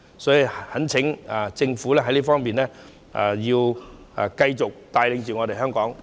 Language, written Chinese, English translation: Cantonese, 所以，懇請政府在這方面要繼續帶領香港。, Hence I urge the Government to continue to lead Hong Kong forward